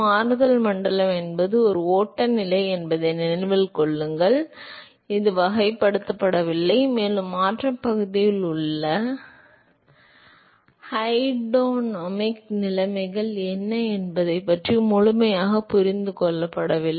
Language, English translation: Tamil, Remember that transition region is a flow condition which has not been characterized, and is not been fully understood as to what is the hydrodynamic conditions in the transition region